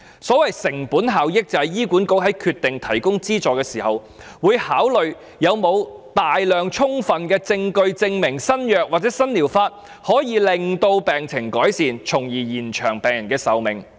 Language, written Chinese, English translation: Cantonese, 所謂成本效益，就是醫管局在決定提供資助時，會考慮是否有大量充分的證據證明新藥物或新療法可以改善病情，從而延長病人的壽命。, The meaning of cost - effectiveness is that in deciding the provision of subsidizes HA will consider whether a sufficiently large quantity of evidence is available to prove that using the new drug or treatment can improve the health of and thus extend the life of the patient